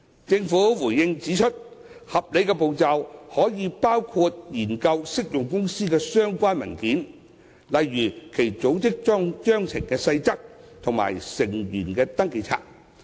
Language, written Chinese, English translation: Cantonese, 政府回應時指出，合理步驟可以包括研究適用公司備存的相關文件，例如其組織章程的細則和成員登記冊。, The Government has responded that reasonable steps may include examination of relevant documents kept by an applicable company like its Articles of Association and register of members